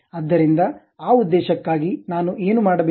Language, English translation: Kannada, So, for that purpose, what I have to do